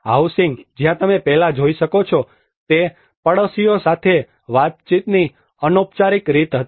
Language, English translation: Gujarati, The housing where you can see earlier it was more of an informal way of interactions with the neighbours